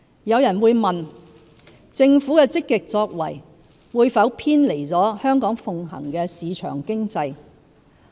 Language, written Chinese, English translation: Cantonese, 有人會問，政府的積極作為，會否偏離香港奉行的市場經濟。, Then some may ask whether the Governments proactiveness will deviate from the market economy upheld by Hong Kong